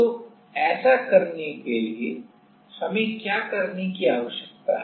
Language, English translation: Hindi, So, for doing that, what do we need to do